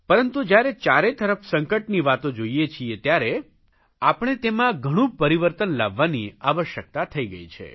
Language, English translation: Gujarati, Now when there are talks of such crisis all around, we feel the need to bring in a lot of change